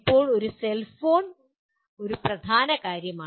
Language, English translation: Malayalam, Now a cellphone is a dominant thing